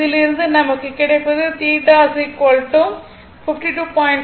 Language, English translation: Tamil, So, from this you are getting theta is equal to 52